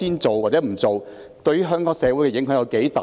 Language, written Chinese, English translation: Cantonese, 這對香港社會有多大影響？, How great is the impact on Hong Kong society?